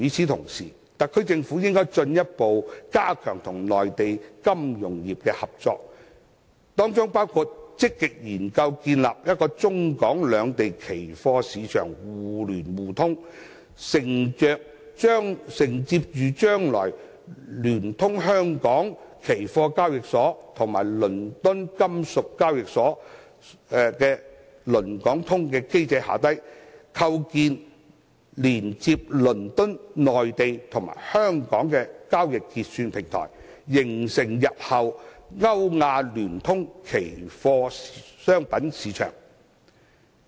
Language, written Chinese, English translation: Cantonese, 同時，特區政府應該進一步加強與內地金融業的合作，包括積極研究建立中港兩地期貨市場互聯互通，承接着將來聯通香港期貨交易所與倫敦金屬交易所的"倫港通"機制，構建連接倫敦、內地與香港的交易結算平台，締造日後歐亞聯通的期貨商品市場。, At the same time the SAR Government should further strengthen cooperation with the Mainland financial sector including actively exploring the proposal of connecting the futures markets in Hong Kong and the Mainland so as to take advantage of the London - Hong Kong Connect a mechanism to be established in which the Hong Kong Futures Exchange and the London Metal Exchange will work as a connected system to create a clearing platform between London the Mainland and Hong Kong and a futures trading market connecting Europe and Asia